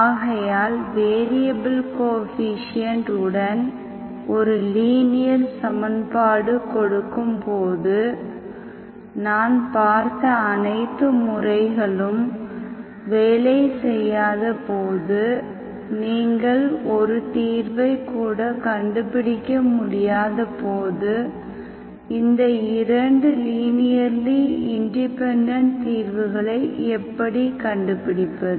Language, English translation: Tamil, So linear equation with variable coefficients when you are given, how do you find these 2 linearly independent solutions when all the methods that I have given do not work, when you cannot even find one solution